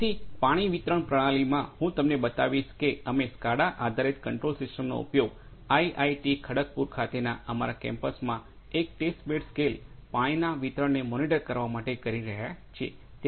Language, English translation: Gujarati, So, water distribution system, I will show you where we are using SCADA based control system for monitoring the water distribution in test bed scale in one of our facilities in our campus at IIT Kharagpur